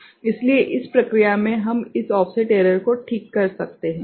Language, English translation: Hindi, So, by that process, we can compensate this offset error ok